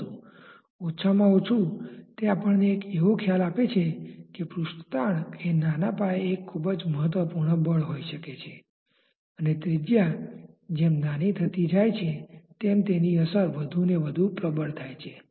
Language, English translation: Gujarati, But at least it gives us an idea that surface tension may be a very important force in a small scale and as the radius becomes smaller and smaller its effect becomes more and more prominent